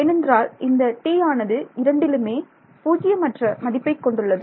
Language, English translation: Tamil, Because this T which I have over here is non zero over both right